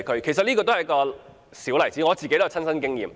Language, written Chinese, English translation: Cantonese, 這是一個小例子，而我也有親身經驗。, This is just one of the many examples . I would also like to tell my personal experience